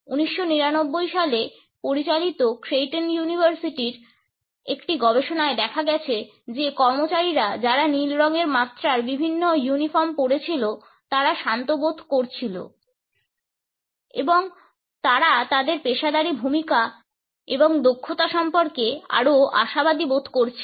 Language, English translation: Bengali, A study of Creighton University conducted in 1999 found that employees who were wearing uniforms in different shades of blue felt calm and they also felt more hopeful about their professional roles and competence